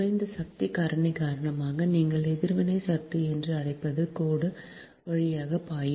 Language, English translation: Tamil, because, because, because of poor power factor, more, ah, your what you call reactive power has to flow through the line, right